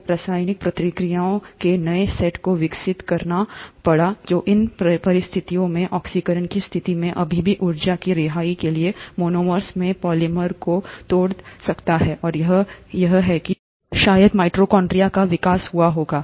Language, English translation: Hindi, So the new set of chemical reactions had to evolve which under these conditions, oxidizing conditions could still breakdown polymers into monomers for release of energy, and that is somewhere here probably, that the evolution of mitochondria would have happened